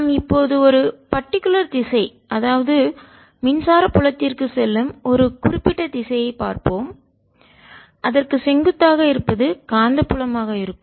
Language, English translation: Tamil, let us look at one particular direction going to the write, electric field is going to be perpendicular to that and source is going to be magnetic field